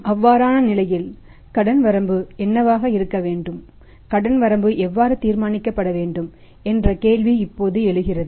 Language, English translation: Tamil, In that case now the question arises what should be the credit limit to him, how the credit limit should be decided